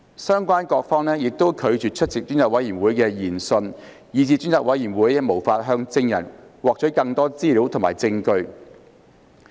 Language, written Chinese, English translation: Cantonese, 相關各方亦拒絕出席專責委員會的研訊，以致專責委員會無法向證人獲取更多資料和證據。, Relevant parties have also refused to attend hearings of the Select Committee which prevented the Select Committee from obtaining more information and evidence from witnesses